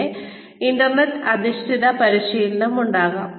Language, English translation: Malayalam, Then, internet based training, could be there